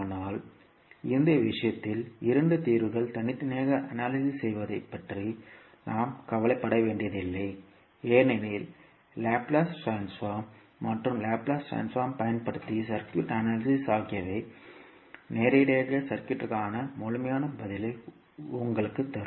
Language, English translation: Tamil, But in this case we need not to worry about having two solutions analyze separately and then summing up because the Laplace transform and the circuit analysis using Laplace transform will directly give you the complete response of the circuit